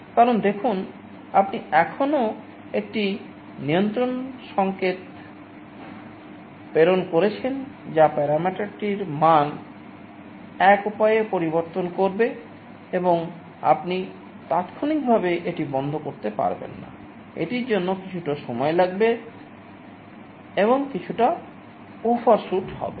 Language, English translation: Bengali, Because, see you are still sending a control signal that will change the value of the parameter in one way and you cannot instantaneously shut it off, it will take some time for it and there will be some overshoot